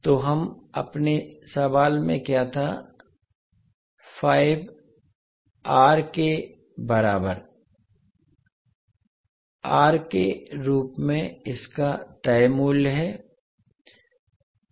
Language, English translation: Hindi, So what we had in our question is its fix value as R equal to 5ohm